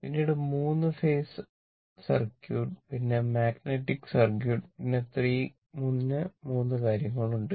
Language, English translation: Malayalam, Then your 3 phase circuit, then magnetic circuit, then 3 things are there, the long way to go